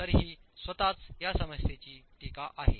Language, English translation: Marathi, So that is the criticality of this problem itself